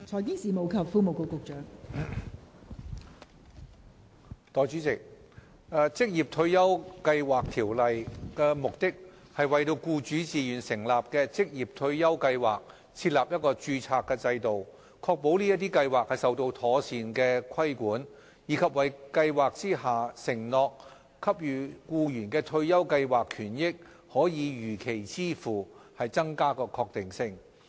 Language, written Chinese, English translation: Cantonese, 代理主席，《職業退休計劃條例》的目的，是為僱主自願成立的職業退休計劃設立註冊制度，確保這些計劃受到妥善規管，以及為退休計劃下承諾給予僱員的退休計劃權益可如期支付增加確定性。, Deputy President the objective of the Occupational Retirement Schemes Ordinance Cap . 426 is to establish a registration system for occupational retirement schemes voluntarily established by employers to ensure that such schemes are properly regulated and to provide greater certainty that retirement scheme benefits of these schemes promised to employees will be paid when they fall due